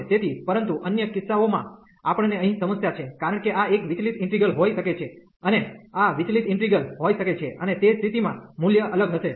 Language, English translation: Gujarati, So, but in other cases we have the problem here, because this might be a divergent integral and this might be the divergent integral and in that case the value will differ